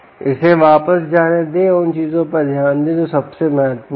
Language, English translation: Hindi, let it go back and put on what are the most important things